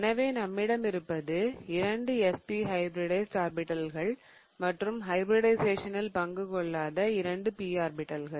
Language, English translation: Tamil, So, what I have here, I have two of the orbitals that are SP hybridized and two of the P orbitals that did not take part in hybridization